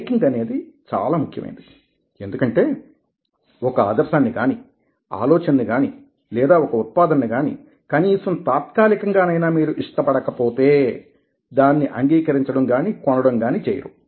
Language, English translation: Telugu, liking is very important because unless you like an idea, like a thought, like a product, at least temporarily, you are not going to get persuaded to, lets say, accept it or buy it ok